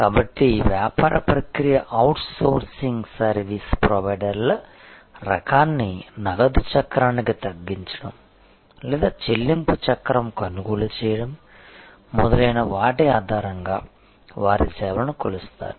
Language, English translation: Telugu, So, the kind of business process outsourcing service providers their services will be measured on the basis of reduction of order to cash cycle or purchase to pay cycle and so on